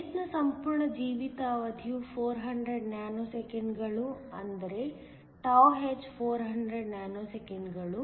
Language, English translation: Kannada, The whole lifetime in the base is 400 nanoseconds that is τh is 400 nanoseconds